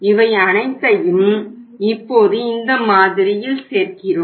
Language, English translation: Tamil, Put all these figure now in this model